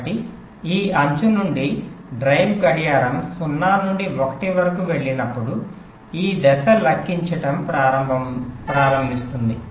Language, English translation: Telugu, so from this edge, whenever drive clock goes from zero to one, this stage the starts calculating